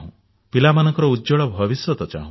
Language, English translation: Odia, We all want a good future for our children